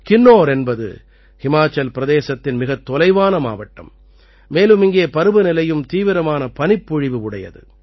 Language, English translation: Tamil, Kinnaur is a remote district of Himachal and there is heavy snowfall in this season